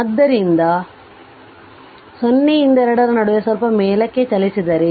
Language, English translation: Kannada, So, in between 0 to 2 right let me move little bit up